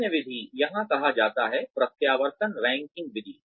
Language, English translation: Hindi, The other method, here is called, the alternation ranking method